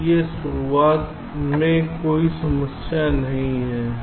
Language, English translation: Hindi, so for the onset there is no problem